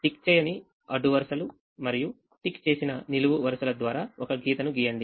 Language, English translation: Telugu, draw a lines through unticked rows and ticked columns